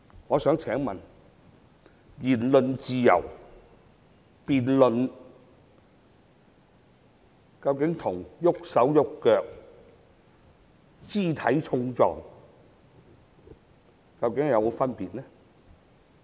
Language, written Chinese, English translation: Cantonese, 我想問言論自由和辯論究竟與動武和肢體碰撞究竟有否分別呢？, I wish to ask whether there is a difference between exercising freedom of speech and using force and engaging in physical scuffles